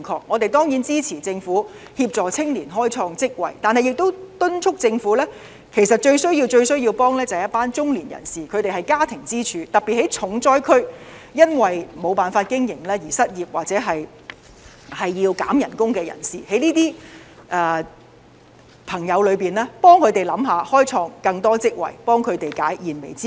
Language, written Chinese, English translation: Cantonese, 我們當然支持政府協助青年開創職位，但亦要敦促政府，其實最需要幫助的是一群中年人士，他們是家庭支柱，特別是在重災區，因為沒有辦法經營而失業或要減工資的人士，政府應替這些朋友着想，開創更多職位，協助他們解燃眉之急。, But we also wish to urge the Government that the ones who are in most need of help are the middle - age people . They are the pillars of their families particularly those who are working in the hardest - hit sectors . They are very likely to have lost their jobs or suffered pay cuts due to the difficulties in business operation